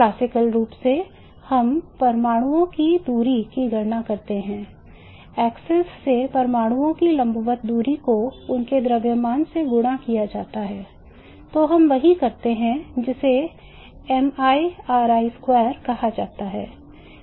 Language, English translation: Hindi, Classically we calculate the distance of the atoms, the perpendicular distance of the atoms from the axis multiplied by their masses